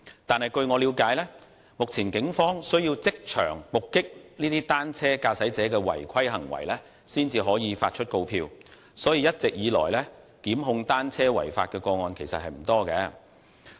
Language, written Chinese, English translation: Cantonese, 但是，據我了解，目前警方需要即場目擊單車駕駛者的違規行為，才能發出告票，所以，一直以來，檢控單車違法的個案其實不多。, However as far as I understand it the Police need to witness the violation by the cycler in order to issue a penalty summons hence the number of prosecution against cycling offenders has been small